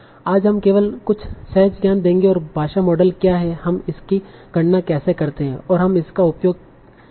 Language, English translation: Hindi, So today we will give only some intuition and what what is language model how do we compute that and what we can use it for